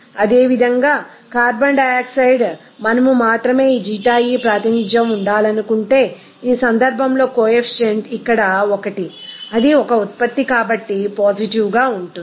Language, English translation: Telugu, Similarly, for carbon dioxide if we represent it to be only here Xie, here in this case coefficient is 1 that will be positive since it is a product